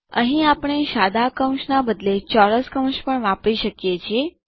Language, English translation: Gujarati, Here we can also use square brackets instead of parentheses